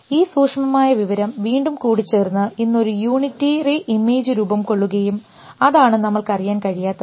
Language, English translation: Malayalam, So, this discrete information again combines to form a unitary image that is one thing that we do not know